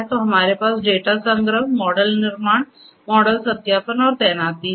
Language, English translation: Hindi, So, we have the data collection, model creation, model validation and deployment